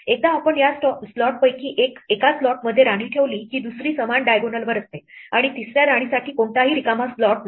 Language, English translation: Marathi, Once we put a queen in one of those slots the other one is on the same diagonal and there is no free slot for the third queen